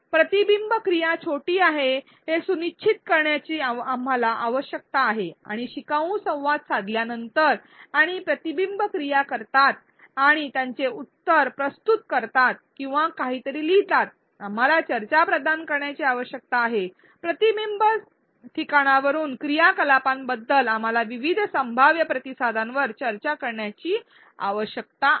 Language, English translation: Marathi, We need to ensure that the reflection activity is short and after learners interact and do the reflection activity and submit their answer or write something, we need to provide a discussion, we need to discuss various possible responses to the reflection spot activity